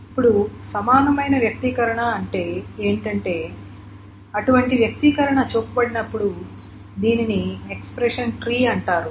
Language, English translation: Telugu, Now what does this equivalent expression mean is that when such an expression is being shown, this is called an expression tree